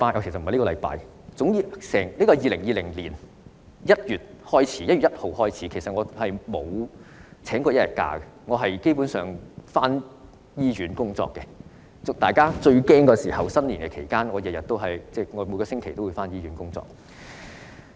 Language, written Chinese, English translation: Cantonese, 由2020年1月1日開始，我沒有請過一天假，基本上都回到醫院工作，在大家最害怕的新年期間，我每星期也回到醫院工作。, I have not taken any day - off and have basically gone to work in the hospital since 1 January 2020 . I also went to work in the hospital every week during the New Year when everyone was most panic - stricken